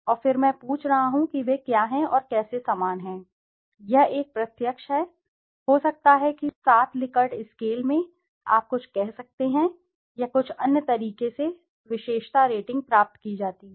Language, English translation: Hindi, And then I am asking what and how they are similar, this is a direct, in a scale of may be 7 Likert scale you can say or something or the other way is derived attribute ratings